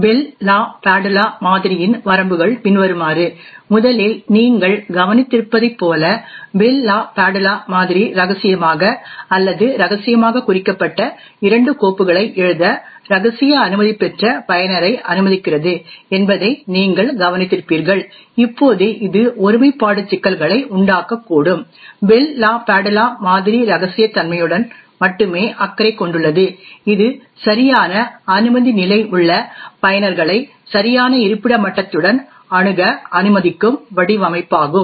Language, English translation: Tamil, The limitations of the Bell LaPadula model is as follows, first as you would have noticed that the Bell LaPadula model permits a user with a clearance of confidential to write two files which is marked as secret or top secret, now this could cause integrity issues, the Bell LaPadula model is only concerned with confidentiality it is design to permit users with the right clearance level access right documents with the correct location level